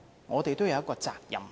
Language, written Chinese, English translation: Cantonese, 我們是有責任的。, We have to be held accountable